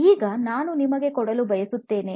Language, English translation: Kannada, Now, I want you to give